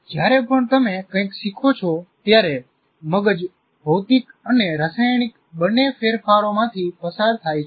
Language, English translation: Gujarati, And whenever you learn something, the brain goes through both physical and chemical changes each time it learns